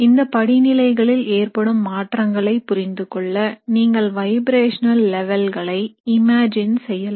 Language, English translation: Tamil, So now to understand the change that actually takes place at each of these levels you can imagine vibrational levels